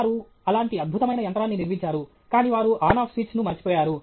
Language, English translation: Telugu, They built a such a wonderful machine, but they forgot the On Off switch